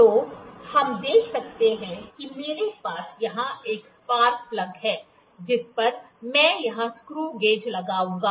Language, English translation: Hindi, So, we can see I have a spark plug here on which I will apply this screw gauge